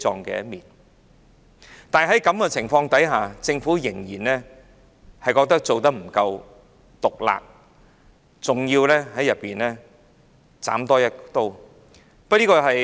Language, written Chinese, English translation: Cantonese, 即使在這個情況下，政府仍然認為未夠毒辣，還要再多加一刀。, Under such circumstances the Government still believes it is not cruel enough and has to give it another hit